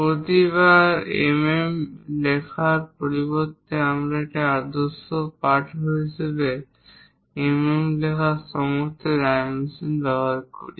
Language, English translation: Bengali, Instead of writing every time mm, we use all dimensions are in mm as a standard text